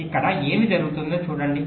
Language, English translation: Telugu, let say what happens here